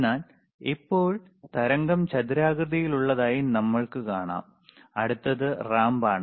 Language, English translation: Malayalam, But right now, we can see the wave is squared ok, next one which iis the ramp